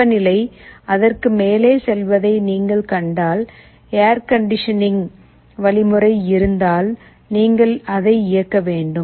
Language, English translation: Tamil, If you find the temperature is going above it, if there is an air conditioning mechanism, you should be turning it on